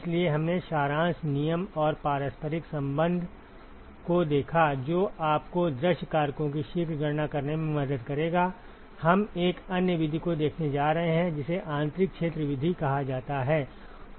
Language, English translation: Hindi, So, we looked at the summation rule and the reciprocity relationship, which will help you to calculate the view factors quickly we are going to look at another method called the inside sphere method